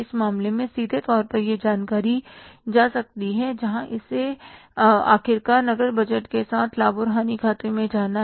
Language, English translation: Hindi, State where this information from the case can go to the where it has to go to and largely it has go to the cash budget as well as the profit and loss account